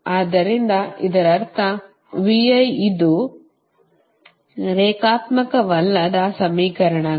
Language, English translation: Kannada, they are nonlinear equation